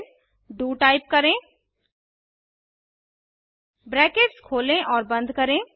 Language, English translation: Hindi, Then Type do Open and close braces